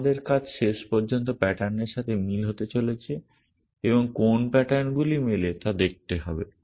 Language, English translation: Bengali, Our task is to eventually going to be the match the pattern and see which patterns match